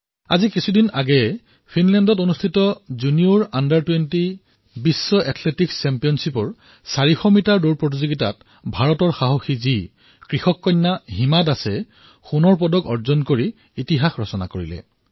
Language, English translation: Assamese, Just a few days ago, in the Junior Under20 World Athletics Championship in Finland, India's brave daughter and a farmer daughter Hima Das made history by winning the gold medal in the 400meter race event